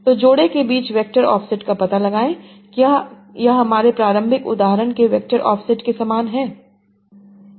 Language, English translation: Hindi, So find out vector offset between pairs, is it similar to the vector offset of my initial example